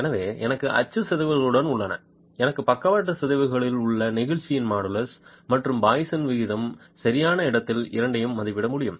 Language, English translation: Tamil, So, I have axial deformations, I have lateral deformations, I can estimate both models of elasticity and the poisons ratio in situ